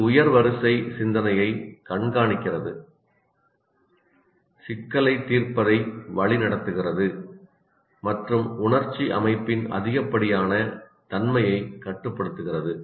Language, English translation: Tamil, It monitors higher order thinking, directs problem solving and regulates the excess of emotional system